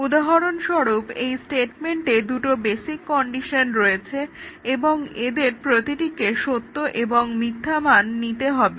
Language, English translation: Bengali, For example, in this case, in this statement there are two basic conditions, and each of this need to take true and false values